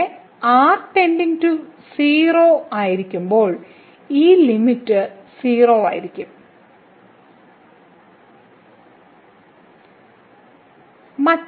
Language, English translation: Malayalam, So, here when goes to 0 this limit will be 0 so limit is 0